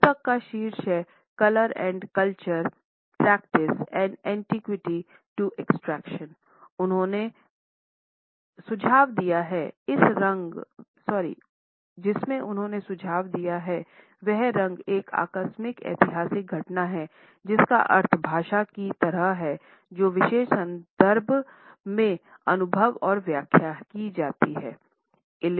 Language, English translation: Hindi, The title of the book is Color and Culture Practice and Meaning from Antiquity to Abstraction published in 1999, wherein he has suggested that color is a contingent historical occurrence whose meaning like language lies in the particular context in which it is experienced and interpreted